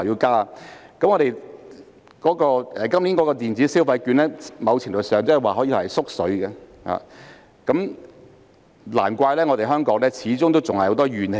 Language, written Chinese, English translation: Cantonese, 今年推出的電子消費券，在某程度上可說是"縮水"的措施，難怪香港始終還有很多怨氣。, The electronic consumption vouchers to be implemented this year can be said to be a shrunken measure to a certain extent . No wonder Hong Kong is still full of resentment